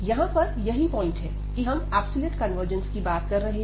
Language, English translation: Hindi, And we have also discussed about the absolute convergence there